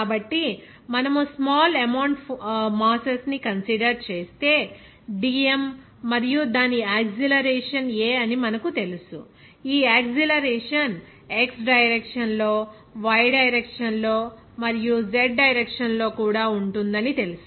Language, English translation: Telugu, So, if we consider that small amount of masses, you know that dm and its acceleration is a, this acceleration will be you know that in x direction, in y direction, and in z direction also